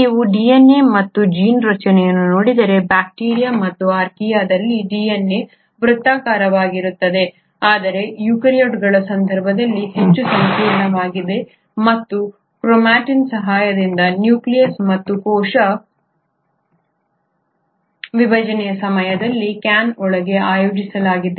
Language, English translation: Kannada, If you were to look at DNA or the gene structure, the DNA is circular in bacteria and Archaea, but in case of eukaryotes is far more complex and with the help of chromatin is organised inside the nucleus and the can at the time of cell division convert to linear chromosomes